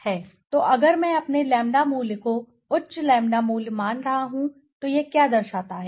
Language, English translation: Hindi, So if I am having my lambda value of high lambda value so what does it indicate